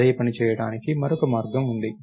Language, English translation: Telugu, There is another way to do the same thing